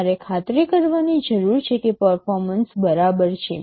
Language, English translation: Gujarati, You need to ensure that performance is assured